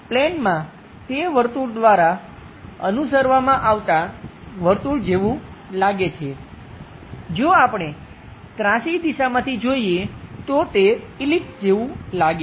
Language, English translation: Gujarati, So, on the plane, it looks like a circle followed by circle because we are looking at inclined direction, it might looks like ellipse